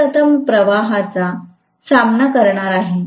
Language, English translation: Marathi, I am going to have this facing the flux first